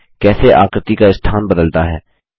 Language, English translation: Hindi, See how the placements of the figures change